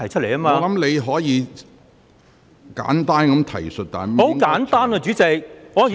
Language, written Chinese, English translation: Cantonese, 我認為你可作簡單的提述，但不應......, I hold that you can make a brief reference but you should not